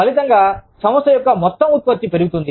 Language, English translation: Telugu, As a result, the overall output of the organization, will go up